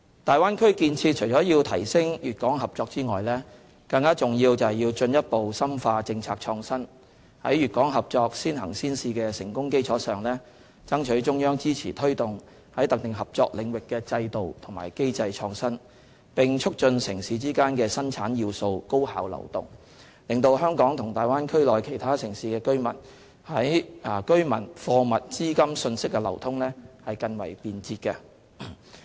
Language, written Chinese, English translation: Cantonese, 大灣區建設除了要提升粵港合作外，更重要的是要進一步深化政策創新，在粵港合作"先行先試"的成功基礎上，爭取中央支持推動在特定合作領域的制度和機制創新，並促進城市之間的生產要素高效流通，使香港與大灣區內其他城市的居民、貨物、資金、訊息的流通更為便捷。, Apart from enhancing the cooperation between Guangdong and Hong Kong the Bay Area development plays a more important role in further deepening policy innovation . On the basis of the success in the early and pilot implementation of the GuangdongHong Kong cooperation we have to strive for the Central Authorities support in promoting system and mechanism innovation in specific area of cooperation and promote efficient and convenient flow of factors of production amongst cities so as to facilitate the flow of people goods capital and information between Hong Kong and other cities in the Bay Area